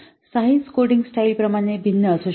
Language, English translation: Marathi, Size can vary with coding style